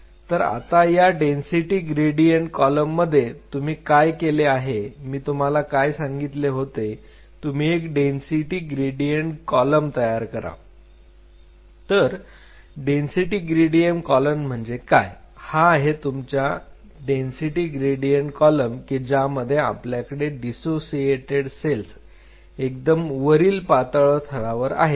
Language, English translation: Marathi, So, on these density gradient columns, so what do you make what I asked you that you make a density gradient column and what is the density gradient column this is the density gradient column what we created now on top of the density gradient column you have this dissociated cell you make a very thin layer on top of it